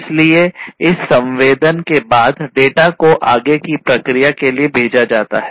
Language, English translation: Hindi, So, this sensing once it is done, this sensed data is sent for further processing